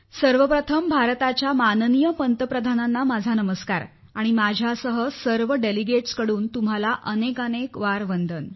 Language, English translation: Marathi, First of all, my Pranam to Honorable Prime Minister of India and along with it, many salutations to you on behalf of all the delegates